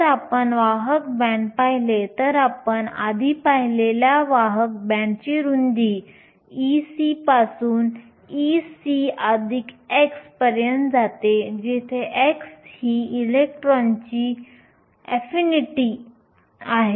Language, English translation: Marathi, If you look at a conduction band, the width of the conduction band you saw earlier goes from e c to e c plus chi, where chi is the electron affinity